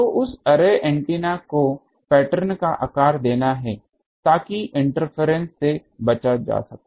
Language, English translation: Hindi, So, that array antenna is to shape the pattern, so that the interference etc